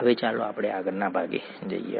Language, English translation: Gujarati, Now, let us look at the next part